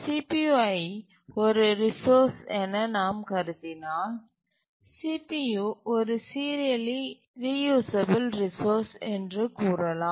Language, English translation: Tamil, If we consider CPU as a resource, we can say that CPU is a serially reusable resource